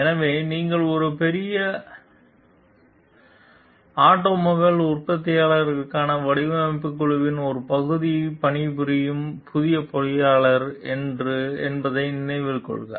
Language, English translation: Tamil, So, please note you are a new engineer working as a part of a design team for a large automobile manufacturer